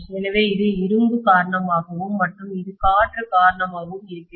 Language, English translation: Tamil, So this is due to iron and this is due to air, right